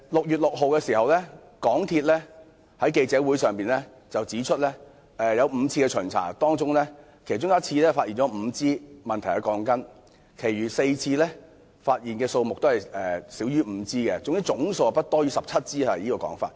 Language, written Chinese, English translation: Cantonese, 港鐵公司在6月6日的記者招待會上指出，在5次的巡查中，有1次發現5支有問題的鋼筋，其餘4次所發現的問題鋼筋數目均少於5支，總數不超過17支。, In its press conference on 6 June MTRCL pointed out that five faulty steel bars were found in one of its five inspections and less than five faulty steel bars were found in each of the remaining four inspections with the total number of faulty steel bars not exceeding 17